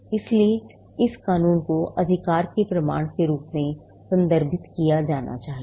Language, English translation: Hindi, So, this in law be referred to as the proof of right